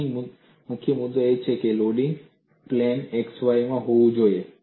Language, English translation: Gujarati, The key point here is loading should be in the plane x y